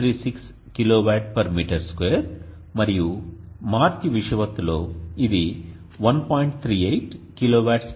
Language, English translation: Telugu, 36kw/m2 and at the March equine aux it is 1